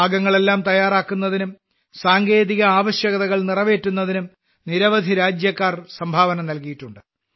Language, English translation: Malayalam, Many countrymen have contributed in ensuring all the parts and meeting technical requirements